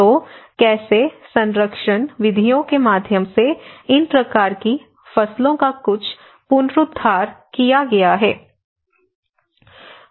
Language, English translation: Hindi, So, how there has been some revival of these kinds of crops through the conservation methods